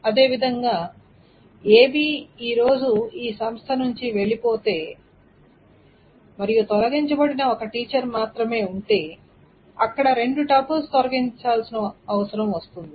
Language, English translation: Telugu, And similarly, if ABE today lives from this institution and so that there is only one teacher who is deleted, there are two tuples that needs to be deleted and so on so forth